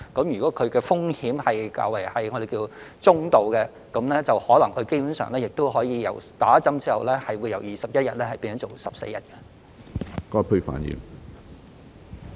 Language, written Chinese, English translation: Cantonese, 如果風險為中度，基本上在接種疫苗後，他們的檢疫期可以由21天減至14天。, Basically if the risk level is moderate the quarantine period for FDHs who have been vaccinated can be reduced from 21 days to 14 days